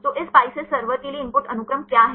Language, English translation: Hindi, So, what is the input sequence for this PISCES server